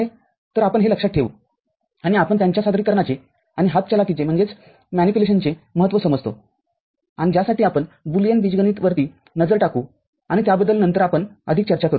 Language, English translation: Marathi, So, this is we keep in mind and we understand the importance of their representation and manipulation and for which we shall have a look at Boolean algebra and more on that we shall discuss later